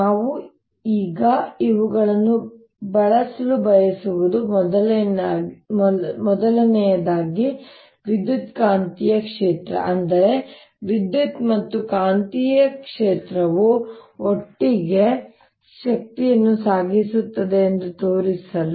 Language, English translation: Kannada, what we want to use these now for is to show that number one, the electromagnetic field, that means electric and magnetic field together transport energy